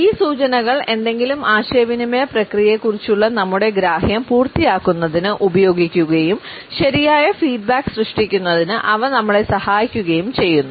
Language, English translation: Malayalam, And these indications used to complete our understanding of any communication process and they also helped us in generating a proper feedback